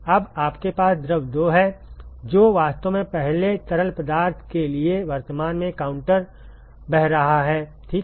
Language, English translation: Hindi, Now, you have fluid 2 which is actually flowing counter currently to the first fluid ok